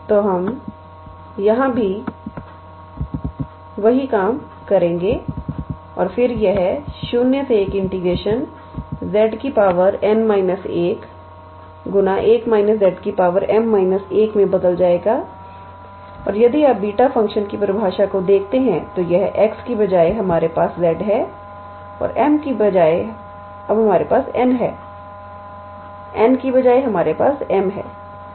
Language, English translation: Hindi, z to the power n minus 1 1 minus z to the power m minus 1 dz and if you look at the definition of beta function then instead of x we have z and instead of m we have n, instead of n we have m